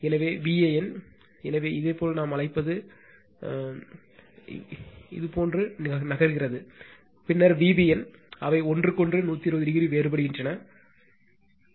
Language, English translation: Tamil, So, V a n, so it is your what we call it is moving like this, then V b n, it is I told they are 120 degree apart physically right